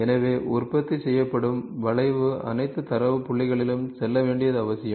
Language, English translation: Tamil, So, it is necessary that the curve produced will have to go through all the data points